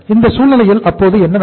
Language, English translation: Tamil, So in this case what is going to happen